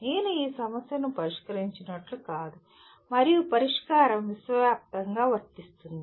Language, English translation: Telugu, It is not as if I solve this problem and the solution is applicable universally